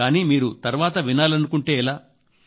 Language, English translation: Telugu, But what if you have to listen to it later